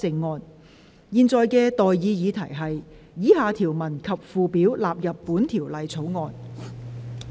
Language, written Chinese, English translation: Cantonese, 我現在向各位提出的待議議題是：以下條文及附表納入本條例草案。, I now propose the question to you and that is That the following clauses and schedules stand part of the Bill